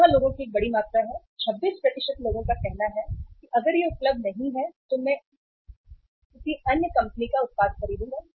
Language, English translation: Hindi, This is a large amount of the people; 26% of the people say that if it is not available I will buy the product of any other company